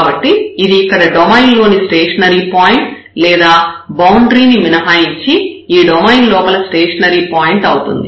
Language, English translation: Telugu, So, this here is the stationary point in the domain or in the interior of this domain excluding the boundary